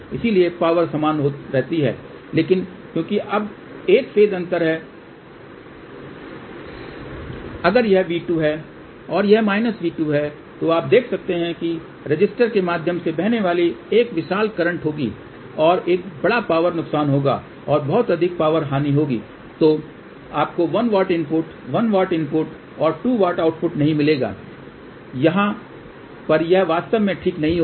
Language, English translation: Hindi, So, power remains same but because now there is a phase differenceif this is V 2 and this is minus V 2, you can now see that there will be a large current flowing through the resistor and there will be a huge power loss and when there is a power loss you won't get 1 watt input 1 watt input and 2 watt output over here it won't really happen ok